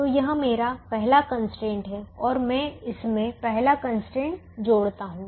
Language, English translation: Hindi, so this is my first constraint and i add the first constraint to it